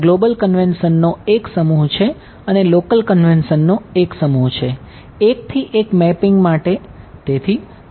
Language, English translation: Gujarati, There is a set of global convention there are set of local convention then a 1 to 1 mapping over here